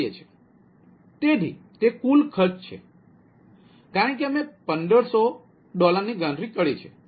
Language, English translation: Gujarati, ok, so it is total cost, as we have calculated, fifteen hundred